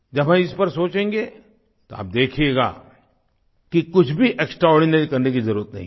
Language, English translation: Hindi, If you'll start paying attention to it, you will see that there is no need to do anything extraordinary